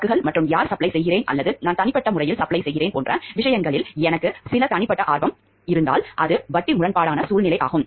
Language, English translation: Tamil, If I do have some personal in interest ingrained in the goods and in terms of like who is supplying or if I am personally suppling, then what happens it is a situation of conflict of interest